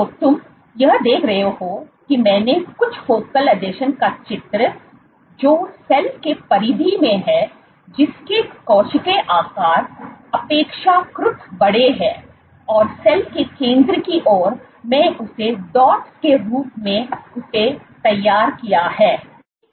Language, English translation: Hindi, So, what you see is here I have drawn the focal adhesions as some of them are in the periphery of the cell which are relatively bigger in size, and towards the center of the cell I have just drawn them as dots ok